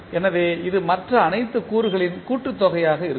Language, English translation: Tamil, So, that means this will be summation of all other components